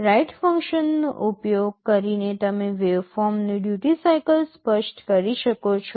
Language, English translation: Gujarati, Using the write function you can specify the duty cycle of the waveform